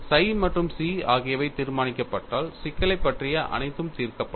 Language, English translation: Tamil, You have to find out psi and chi for a given point; if psi and chi are determined, everything about the problem is solved